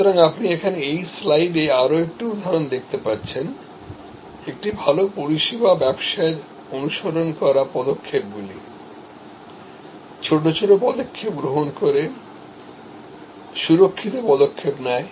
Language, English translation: Bengali, So, you see another example here in this slide, the steps followed by a good service business, which takes small steps, secure steps, before they take the leap